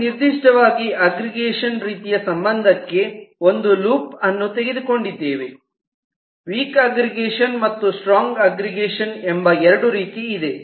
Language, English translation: Kannada, and specifically, we have taken a loop in to an aggregation kind of relationship where there are two kinds: the weak aggregation and the strong aggregation